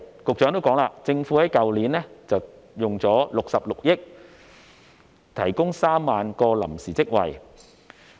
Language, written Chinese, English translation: Cantonese, 局長亦提到，政府在去年花了66億元提供3萬個臨時職位。, As indicated by the Secretary the Government spent some 6.6 billion on providing 30 000 temporary posts last year